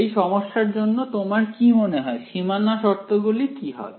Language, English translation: Bengali, What for this physical problem what do you think are the boundary conditions